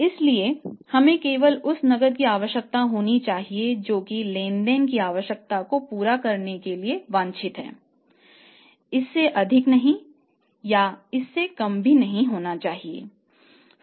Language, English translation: Hindi, So, we should keep only that much of the cash which is required and desired for fulfilling the transactional requirement not more than that and even not less than that